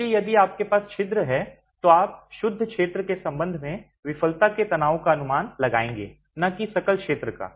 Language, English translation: Hindi, So, if you have perforations then you will estimate the failure stress with respect to the net area and not the gross area